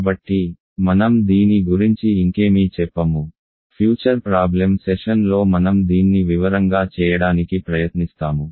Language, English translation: Telugu, So, let me not say anything more about this, in a future problem session I will try to do this in details